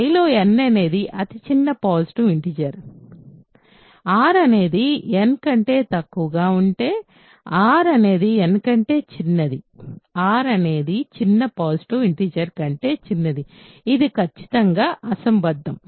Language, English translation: Telugu, See the contradiction is to the fact that n is the smallest positive integer in I, if r is positive r is less than n, r is smallest r is smaller than this smallest positive integer in I which is certainly absurd